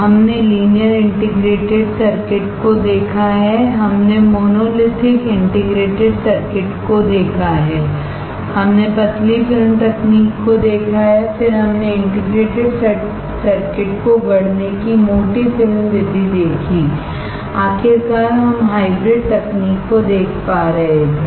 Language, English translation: Hindi, We have seen the linear integrated circuit, we have seen monolithic integrated circuit, we saw thin film technology, then we saw thick film method of fabricating integrated circuit, finally, we were able to see the hybrid